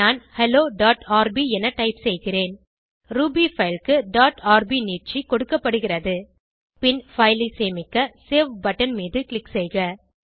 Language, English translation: Tamil, I will type hello.rb Dot rb extension is given to a Ruby file Then click on Save button to save the file